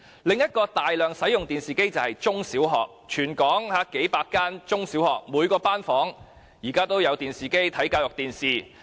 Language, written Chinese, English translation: Cantonese, 另一個大量使用電視機的地方便是中、小學，因為全港數百間中、小學的每一個班房，均有安裝電視機以供收看教育電視。, TVs are also widely used in primary and secondary schools . There are hundreds of primary and secondary schools in Hong Kong and TV is installed in each classroom for students to watch educational TV programmes